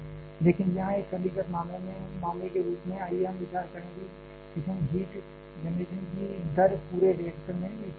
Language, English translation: Hindi, But, here as a simplified case let us consider that the rate of fission heat generation is uniform throughout the entire reactor